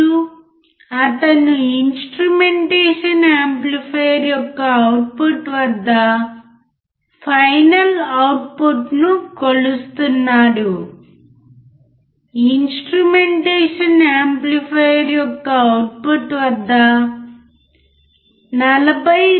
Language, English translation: Telugu, And he is measuring the output, final output at the output of the instrumentation amplifier, the output of the instrumentation amplifier